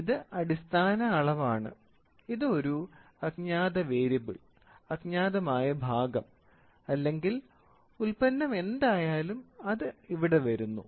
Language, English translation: Malayalam, So, this is a Standard, this is an unknown variable, unknown part or product whatever it is it comes here